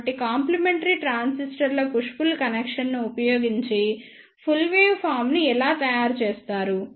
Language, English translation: Telugu, So, this is how the complete waveform is made using the push pull connection of complementary transistors